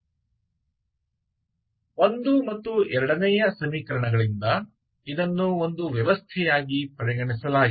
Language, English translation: Kannada, So from 1 and 2 we write this equations 1 and 2 as a system, ok